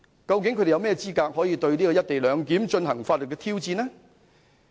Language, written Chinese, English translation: Cantonese, 究竟他們有何資格對"一地兩檢"進行法律挑戰呢？, On what basis can they pose legal challenges to the co - location arrangement?